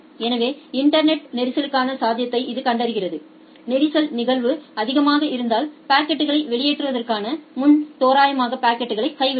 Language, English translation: Tamil, So, it detects the possibility of congestion in the internet, if congestion probability is high you randomly drop packets before enqueueing the packets